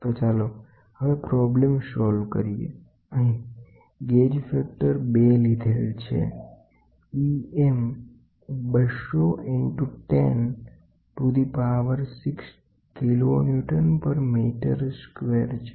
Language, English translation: Gujarati, So, let us try to solve the problem gauge factor which is given is 2 then E m is 200 into 10 to the power 6 kiloNewton per meter square